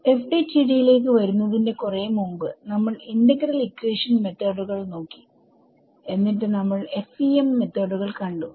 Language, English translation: Malayalam, So, far before we came to FDTD was we looked at integral equation methods and then we looked at FEM methods